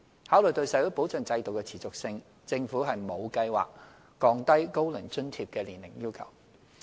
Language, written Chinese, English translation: Cantonese, 考慮到社會保障制度的持續性，政府沒有計劃降低"高齡津貼"的年齡要求。, Having considered the sustainability of the social security system the Government has no plans to lower the age requirement of OAA